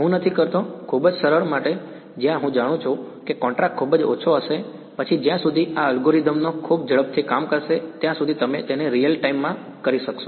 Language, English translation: Gujarati, I do not, well for very simple where I know the contrast is going to be very very low then as long as this algorithm works very quickly you could do it in real time